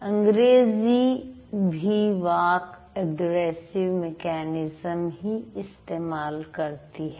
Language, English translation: Hindi, So, English also follows aggressive mechanism of speech